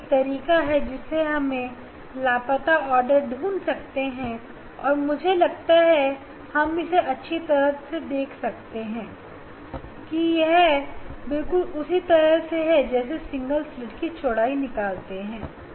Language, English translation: Hindi, that is this is the way we can study the we can study the missing order I think nicely we could see as well as of course, the similar way or that we have a measured the slit width of single slit